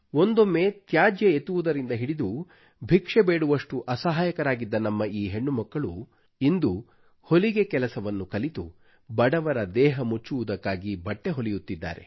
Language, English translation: Kannada, Our daughters, who were forced to sift through garbage and beg from home to home in order to earn a living today they are learning sewing and stitching clothes to cover the impoverished